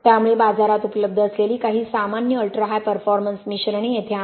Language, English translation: Marathi, So here are some of the common ultra high performance mixtures available in the market